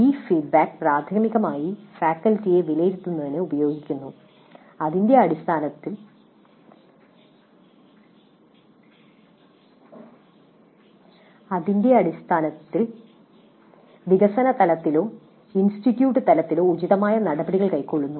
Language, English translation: Malayalam, This feedback is primarily used to evaluate the faculty and based on that take appropriate actions at the department level or at the institute level